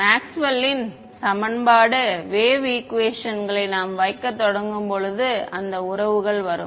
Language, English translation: Tamil, I mean when we start putting in Maxwell’s equation wave equations those relations will come